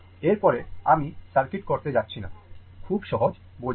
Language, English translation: Bengali, After that, I am not going to circuit; very easy to understand